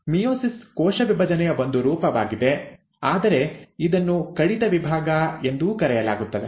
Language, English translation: Kannada, Meiosis is again a form of cell division, but it is also called as a reduction division